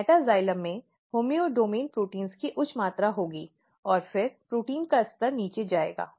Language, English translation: Hindi, But, what happens that the metaxylem will have high amount of homeodomain proteins and then the protein levels will go down